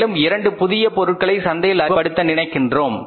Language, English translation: Tamil, We want to introduce two more products in the market